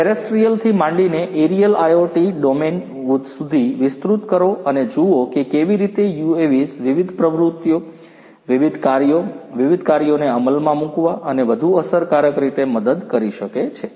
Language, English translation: Gujarati, Extend you from terrestrial to the aerial IoT domain and see how UAVs can help accomplish different activities, different tasks, execute different tasks, in a much more efficient manner